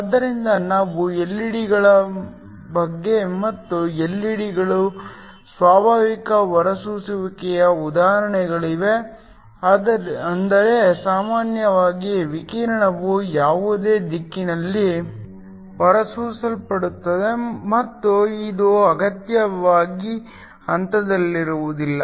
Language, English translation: Kannada, So we talked about LED’s and LED’s are an example of spontaneous emission, which means typically the radiation is emitted in any direction and is not necessarily in phase